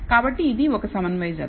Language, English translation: Telugu, So, it is a concordant pair